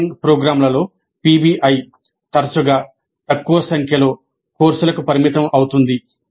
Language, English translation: Telugu, PBI in engineering programs is often limited to a small number of courses